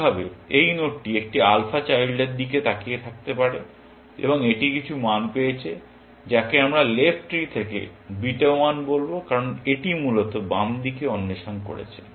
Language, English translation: Bengali, Likewise, this node may be looking at a alpha child, and it may have got some value, which we will call beta 1, from the left tree, that it has explored on the left side, essentially